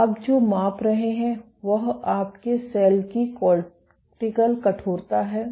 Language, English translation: Hindi, So, what you are measuring is the cortical stiffness of your cell